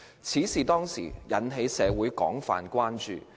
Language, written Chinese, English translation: Cantonese, 此事當時引起社會廣泛關注。, The incident aroused wide public concern at that time